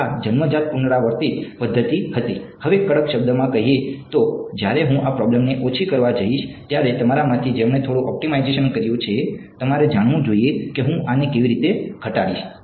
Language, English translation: Gujarati, So, this was the born iterative method, now strictly speaking when I go to minimize this problem those of you who have done a little bit of optimization, you should know how will I minimize this